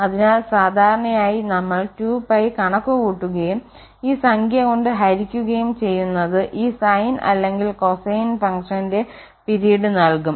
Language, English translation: Malayalam, So, usually we compute 2 pie and divided by this number will give the period of this sine or cosine function